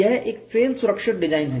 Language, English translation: Hindi, It is to have a fail safe design